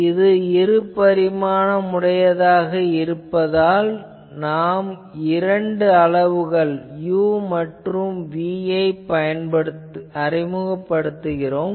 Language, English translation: Tamil, So, here since it is two dimensional, we will introduce the two quantities u and v